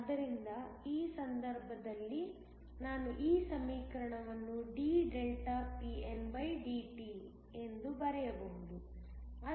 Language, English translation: Kannada, So, in this case I can write this equation dpndt